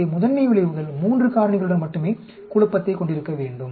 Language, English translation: Tamil, So that the principle effects will have confounding only with 3 factors